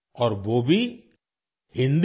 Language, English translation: Hindi, And that too in Hindi